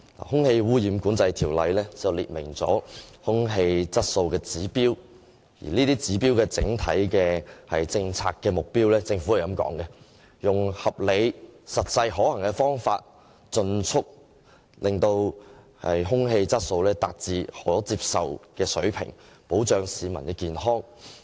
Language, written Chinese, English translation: Cantonese, 《空氣污染管制條例》訂明空氣質素的指標，而就這些指標的整體政策目標，政府的說法是，用合理而實際可行的方法，盡速使空氣質素達至可接受的水平，從而保障市民的健康。, Air quality objectives are set out in the Air Pollution Control Ordinance . Regarding the overall policy targets of these air quality objectives the Government says that these targets will be achieved by reasonably practicable approaches as soon as possible to ensure that air quality attains an acceptable standard thereby protecting the health of the public